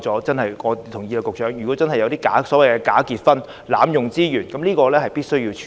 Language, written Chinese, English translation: Cantonese, 局長，我同意如真的有假結婚、濫用資源的情況，確實需要處理。, Secretary I agree that there is indeed a need to tackle the problems of bogus marriages and abusive use of resources if they really exist